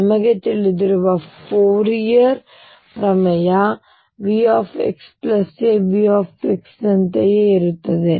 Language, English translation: Kannada, That is by you know Fourier theorem therefore, V x plus a becomes same as V x